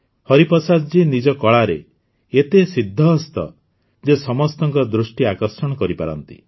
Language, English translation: Odia, Hariprasad ji is such an expert in his art that he attracts everyone's attention